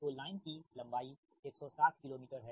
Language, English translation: Hindi, line length is one sixty kilo meter